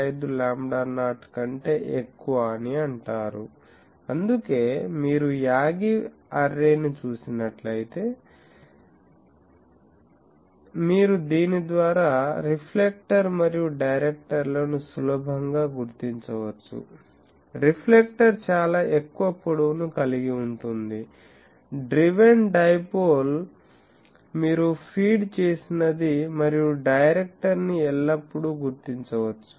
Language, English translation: Telugu, 5 lambda not, so that is why, if you see an Yagi array, you can easily identify the reflector and the directors by this, reflector is the maximum of the log, the driven dipole you can always identify what the feed is given and director